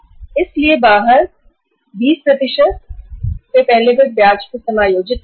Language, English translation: Hindi, So out of that 20% they will first adjust the interest